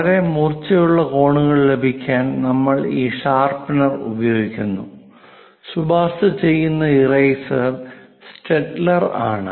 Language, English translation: Malayalam, To have very sharp corners, we use this sharpener, and the recommended eraser is Staedtler, which always have this very smooth kind of erase